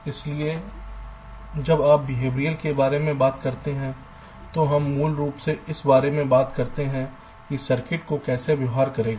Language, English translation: Hindi, so when you talk about behavioral, we basically, ah, talking about how circuit is suppose to behave